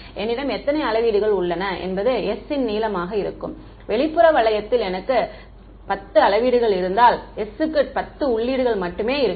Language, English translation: Tamil, How many of measurements I have that will be the length of s right, if I have 10 measurements on the outside ring then s has only 10 entries